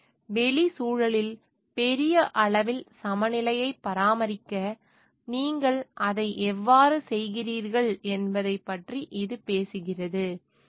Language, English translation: Tamil, So, this talks of like how you are doing it to maintain a balance in the outside environment at large